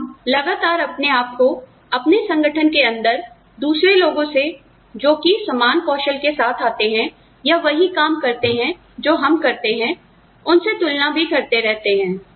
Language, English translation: Hindi, We are constantly also, comparing ourselves with others, within our organization, who come with the same set of skills, we do, and create or, do the same kind of work, we do